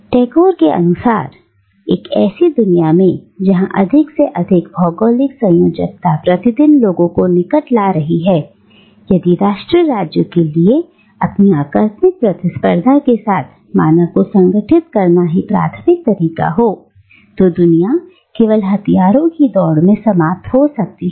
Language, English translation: Hindi, And, according to Tagore, in a world where greater geographical connectivity is daily bringing people into closer proximity, if nation state with its aggressive competitiveness remains the primary mode of organising humanity, then the world can only end in an arms race leading to a sort of conflagration of suicide